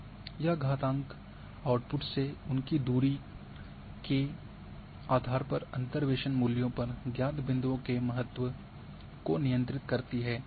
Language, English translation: Hindi, That power controls the significance of known points on the interpolated values based on their distance from the output